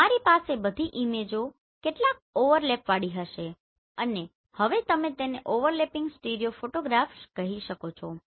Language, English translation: Gujarati, So it will appear something like this so you will have all the images with some overlap and then you can call it overlapping stereo photographs